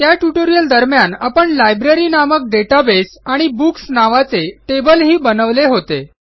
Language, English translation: Marathi, During the course of the tutorial we also created an example database called Library and created a Books table as well